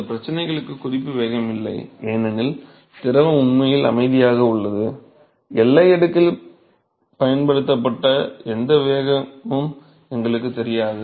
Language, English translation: Tamil, There is no reference velocity for these problems because the fluid is actually at rest, we do not know any velocity to use in the boundary layer